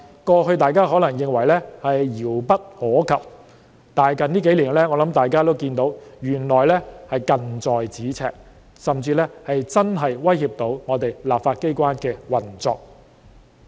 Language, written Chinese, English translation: Cantonese, 過去，大家可能認為這些情況遙不可及，但近幾年，我相信大家都看到這些情況原來是近在咫尺，甚至真的會威脅到立法機關的運作。, In the past Members might have thought that such situations were remote . Yet in recent years I believe we have all seen that these situations are just a breath away and may even threaten the operation of the legislature